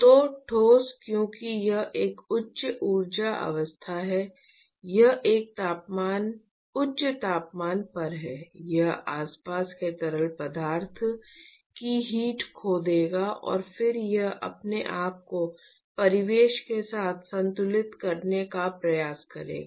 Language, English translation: Hindi, So, the solid because it is at a higher energy state, it is at a higher temperature it will lose heat to the surrounding fluid, and then it will attempt to equilibrate itself with the surroundings right